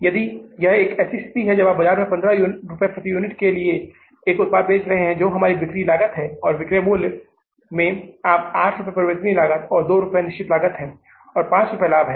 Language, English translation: Hindi, 15 rupees per unit that is our selling cost and in this selling price your 8 rupees is the variable cost, 2 rupees is the fixed cost and 5 rupees is the profit